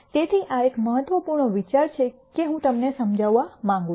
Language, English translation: Gujarati, So, this is a critical idea that I want you to understand